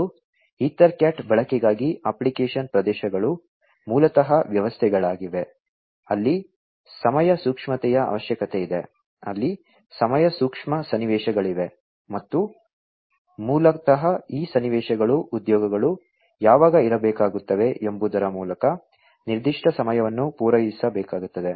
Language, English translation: Kannada, And, the application areas of for use of EtherCAT are basically systems, where there is a requirement of time sensitivity, where there are time sensitive scenarios, and basically these scenarios will have to cater to specific times by when the jobs will have to be completed, or certain process will have to be completed